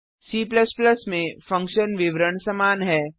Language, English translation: Hindi, The function declaration is same in C++